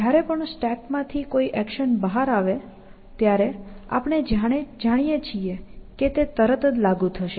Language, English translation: Gujarati, The moment an action comes out of the stack, we know that it is applicable